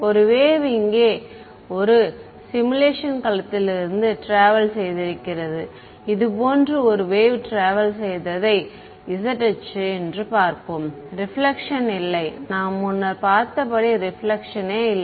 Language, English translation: Tamil, Now a wave that is travelling a wave has travelled from a simulation domain over here let us call this the z axis a wave has travelled like this is and there is no reflection as we have seen there is no reflection